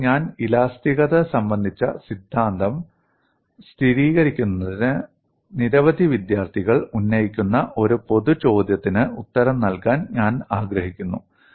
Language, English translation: Malayalam, Now, before I take up theory of elasticity, I would like to answer a common question raised by many students